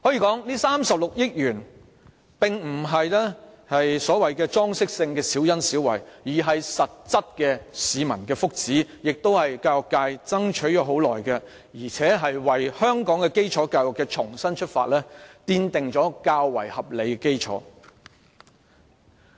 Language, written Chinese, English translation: Cantonese, 這36億元並非所謂裝飾性的小恩小惠，而是市民的實質福祉，亦是教育界爭取已久的事，同時為香港基礎教育的重新出發奠定了較為合理的基礎。, This 3.6 billion is no petty window - dressing concession but practically contributing to the well - being of the people for which the education sector has long championed and in the meantime it has laid down a more reasonable basis for basic education in Hong Kong to start afresh